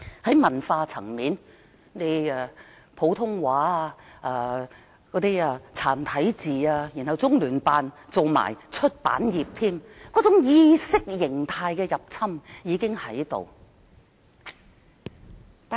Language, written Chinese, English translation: Cantonese, 在文化方面，先推廣普通話及"殘體字"，其後中聯辦也沾手出版業，說明意識形態的入侵早已在進行中。, On the cultural front after advocating Putonghua and simplified Chinese characters the Liaison Office of the Central Peoples Government in the Hong Kong SAR started to influence the publishing industry . It is evident that the Mainland intruded into our ideology long ago